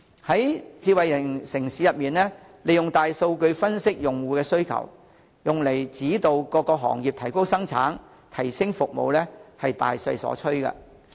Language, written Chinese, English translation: Cantonese, 在智慧城市中，利用大數據分析用戶的需求，用以指導各行業提高生產、提升服務是大勢所趨。, In a smart city there is a general trend that big data is used to analyse user demand to guide various industries in increasing production and enhancing services